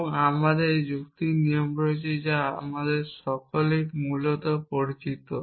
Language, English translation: Bengali, And we have this logic rules that we all familiar with essentially